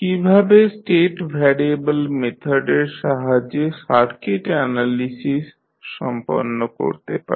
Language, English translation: Bengali, How we will carry out the circuit analysis with the help of state variable methods